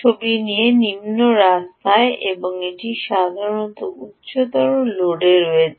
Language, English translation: Bengali, this is at low road and this is at typically at higher load